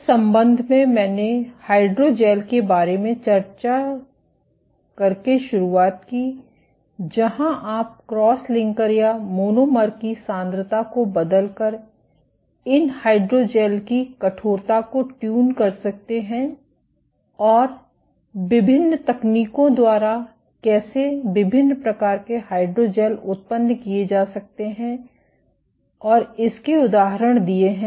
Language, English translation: Hindi, In that regard I started off by discussing about hydrogels where in you can tune the stiffness of these hydrogels by changing the cross linker or monomer concentration, and gave examples of how different kind of hydrogels can be generated and by different techniques